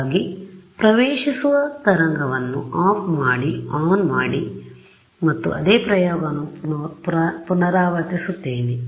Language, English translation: Kannada, So I will turn this guy off, turn this guy on and repeat the same experiment